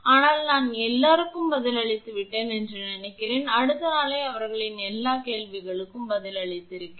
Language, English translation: Tamil, But I think I have answered to everyone and may be just next day I have given the answer to all their questions